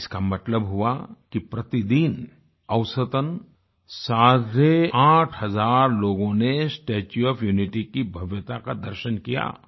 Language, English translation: Hindi, This means that an average of eight and a half thousand people witnessed the grandeur of the 'Statue of Unity' every day